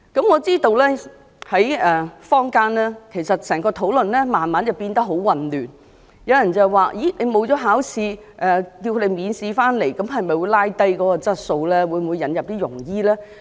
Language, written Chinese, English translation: Cantonese, 我知道坊間對這議題的討論逐漸變得很混亂，有人問，如果海外醫生不用考試，便讓他們免試回港執業，會否令香港的醫療質素下降？, I know the discussion on this issue in society has become rather confusing . Some people ask will Hong Kongs healthcare quality be undermined if overseas doctors are allowed to come and practice in Hong Kong without the need to sit for licensing examination?